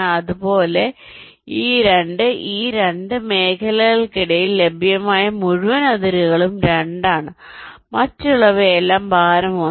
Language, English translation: Malayalam, similarly, between these two, these two region, the whole boundaries available, that is two others are all weight one